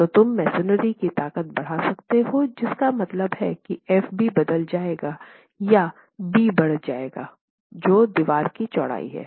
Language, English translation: Hindi, So, you can basically increase the strength of masonry, which means FB will change or increase B which is the width of the wall